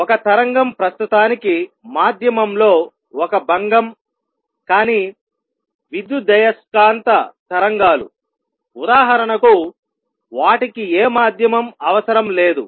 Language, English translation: Telugu, So, what a wave is; a wave is a disturbance in a media for the time being, but electromagnetic waves; for example, do not require any medium